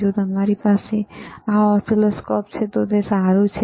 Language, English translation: Gujarati, If you have this oscilloscopes, it is fine,